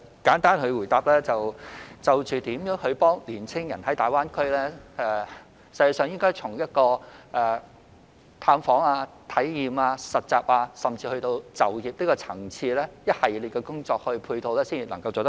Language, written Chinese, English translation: Cantonese, 簡單地回答，就如何協助青年人在大灣區發展，實際上應從探訪、體驗、實習，甚至是就業的層次，提供一系列的工作配套才能做好。, On ways to assist young people in pursuing development in GBA we should actually provide a series of work support services at the levels of visit experience internship placement and even employment in order to do a good job